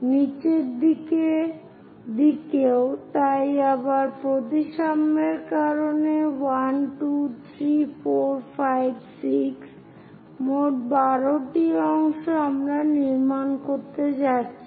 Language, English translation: Bengali, On the bottom side also, so because of symmetry again 1, 2, 3, 4, 5, 6; in total, 12 parts we are going to construct